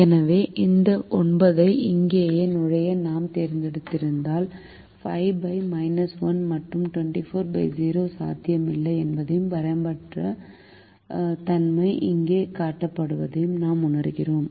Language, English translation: Tamil, so if we had chosen to enter this nine right here we realize that five divided by minus one and twenty four divided by zero are not possible and unboundedness is shown here